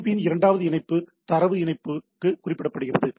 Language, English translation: Tamil, The second connection of the FTP is referred to the data connection